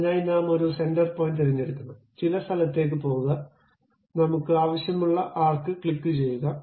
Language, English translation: Malayalam, So, first of all I have to pick center point, go to some location, click arc I want